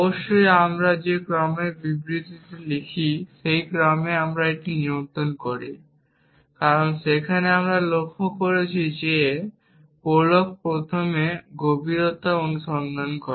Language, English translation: Bengali, Of course, we do control it in the order in which we write statements, because there we observed prolog does depth first search essentially